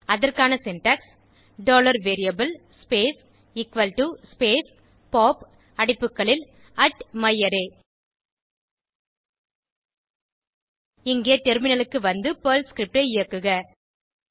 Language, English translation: Tamil, The syntax for this is $variable space = space pop open bracket @myArray close bracket Now switch to the terminal and execute the Perl script